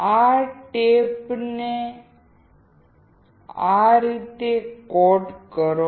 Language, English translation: Gujarati, Coat this tap like this